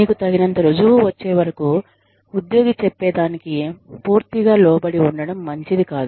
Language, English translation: Telugu, But, it is not very nice to be swayed by, whatever the employee says completely, till you have enough proof